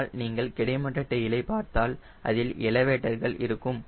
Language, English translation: Tamil, but if you see horizontal tail, there are elevators